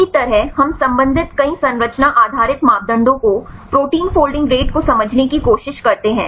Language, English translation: Hindi, Likewise we related several structure based parameters try to understand the protein folding rates right